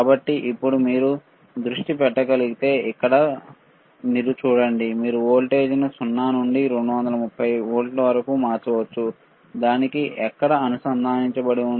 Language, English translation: Telugu, So now, if you can focus here, you see, you can change the voltage from 0 from 0 to 230 volts, it is connected to where